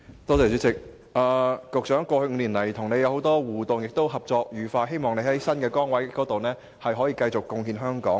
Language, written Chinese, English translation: Cantonese, 局長，在過去5年來與你有不少互動，而且合作愉快，希望你可以在新的崗位繼續貢獻香港。, Secretary I did have many interactions with you in the past five years and we have been working together happily . I hope that you will continue to make contribution to Hong Kong in your new post